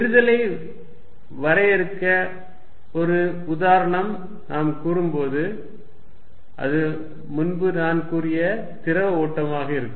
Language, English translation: Tamil, When we say something as diverging an example to define it would be a fluid flow which I talked about earlier